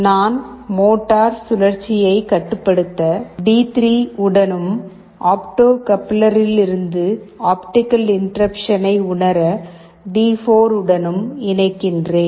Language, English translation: Tamil, So, I am connecting it to D3 for controlling the motor rotation, and D4 for sensing the optical interruption from the opto coupler